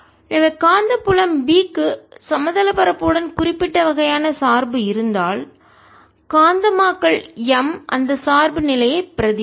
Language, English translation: Tamil, so if magnetic field b has certain kind of dependence on the space, magnetization m will mimic that dependence